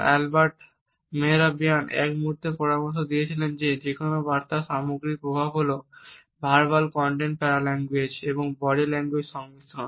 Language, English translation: Bengali, Albert Mehrabian at one moment had suggested that the total impact of a message is a combination of verbal content paralanguage and body language